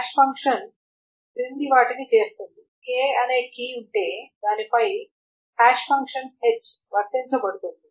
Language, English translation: Telugu, The hash function does the following is that there is a key k